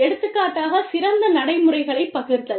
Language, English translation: Tamil, For example, sharing best practices